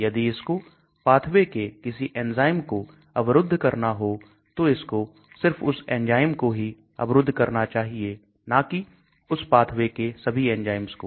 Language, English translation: Hindi, If it has to go and block an enzyme in certain pathway, it should go and block only that enzyme not all other enzymes in that pathway